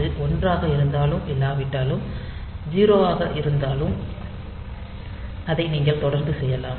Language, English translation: Tamil, So, whether it is 0 whether it is 1 or not, and you can continually do that